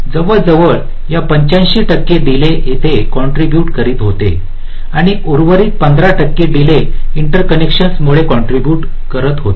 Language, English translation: Marathi, eighty five percent of delay was contributed here and the rest fifteen percent delay was contributed in the interconnections